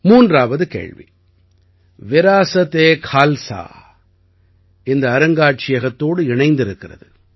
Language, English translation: Tamil, The third question 'VirasateKhalsa' is related to this museum